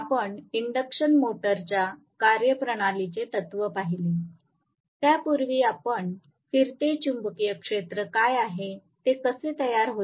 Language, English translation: Marathi, We, looked at the principle of the induction motor, before which we said what is a revolving magnetic field how it is created